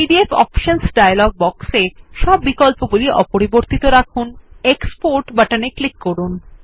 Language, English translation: Bengali, In the PDF options dialog box, leave all the options as they are and click on the Export button